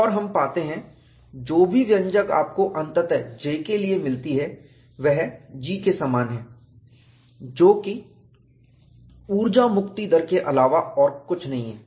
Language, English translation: Hindi, And, we find, whatever the expression you finally get for J, is same as G, which is nothing, but the energy release rate